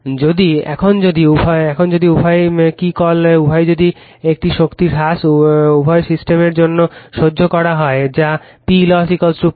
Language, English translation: Bengali, If now, if both the your what you call now if both if the same power loss is tolerated for both the system that is P loss is equal to P loss dash